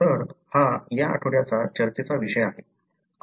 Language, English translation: Marathi, So, that is the theme of this week’s discussion